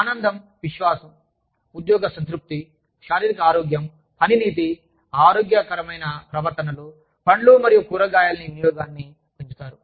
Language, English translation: Telugu, They improve happiness, confidence, job satisfaction, physical health, work ethic, healthy behaviors such as, increasing fruit and vegetable consumption